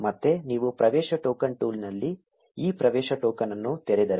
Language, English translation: Kannada, Again if you open this access token in the access token tool